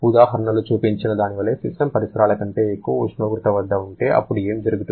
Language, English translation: Telugu, Like the example, we have talked about if the system is at a temperature higher than surrounding, then what will happen